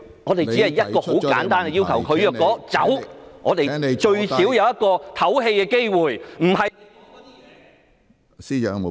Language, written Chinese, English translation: Cantonese, 我們只有一個很簡單的要求，如果她離開，我們最少會有一個喘息的機會，不是......, That means she we only have a most simple request . If she leaves at least we will have a chance to catch some breath not